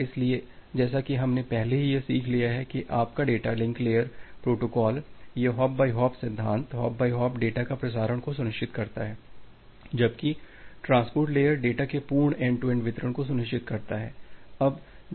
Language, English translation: Hindi, So, as we have learnt already that your data link layer protocol, it ensures the hop by hop principles, the hop by hop transmission of data where as the transport layer, it ensures the complete end to end delivery of the data